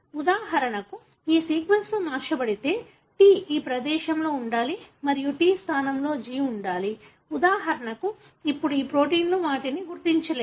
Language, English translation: Telugu, If these sequences are altered for example, T should be there in this place and the T is replaced by G, for example